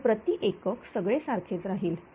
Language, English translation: Marathi, So, per unit everything will remain same